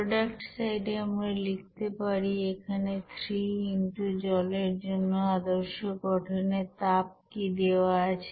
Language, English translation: Bengali, The for the product side we can write here this 3 into for water what is the standard heat of formation it is given